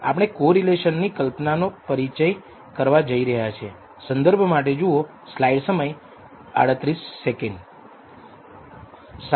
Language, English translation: Gujarati, We are going to introduce the notion of correlation